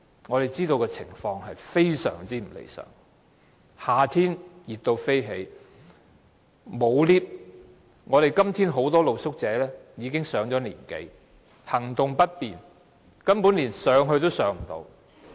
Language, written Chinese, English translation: Cantonese, 我們知道情況非常不理想，夏天非常炎熱，沒有電梯，今天很多露宿者已經上了年紀，行動不便，根本連上樓也困難。, We know that the conditions are far from satisfactory . It is unusually hot in summer . Without any lifts many street sleepers who are elderly people with impaired mobility even have difficulty walking up the stairs